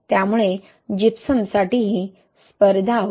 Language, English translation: Marathi, So that also competes for your Gypsum